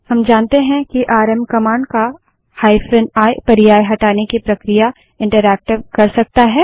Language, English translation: Hindi, We know that hyphen i option of the rm command makes the removal process interactive